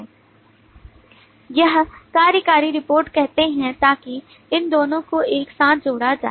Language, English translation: Hindi, we say executive reports so that relates these two together